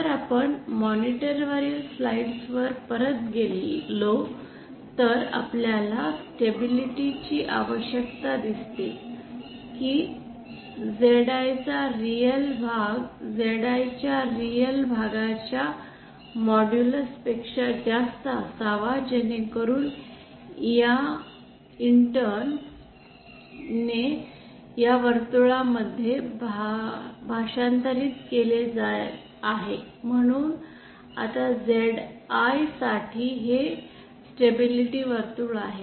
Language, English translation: Marathi, If we go back to the slides on the monitor you see the requirement for stability is that the real part of ZI should be greater than the modulus of real part of ZI this intern translates into this circle so this is our stability circle for ZI now you might ask here that how is this stability circle different from the stability circles we have already covered so far